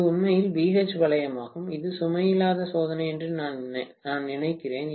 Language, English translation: Tamil, This is actually the BH loop, I think this is the no load test